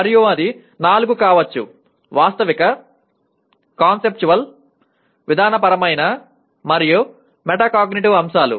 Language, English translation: Telugu, And it can be all the four; Factual, Conceptual, Procedural, and Metacognitive elements